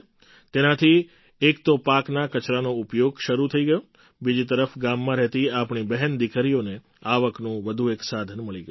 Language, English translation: Gujarati, Through this, the utilization of crop waste started, on the other hand our sisters and daughters living in the village acquired another source of income